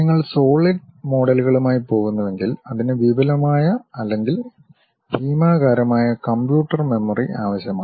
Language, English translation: Malayalam, If you are going with solid models, it requires enormous or gigantic computer memory